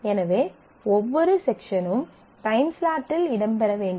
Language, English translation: Tamil, So, every section must feature in the sec timeslot